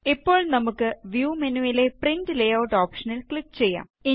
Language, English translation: Malayalam, Now lets us click on Print Layout option in View menu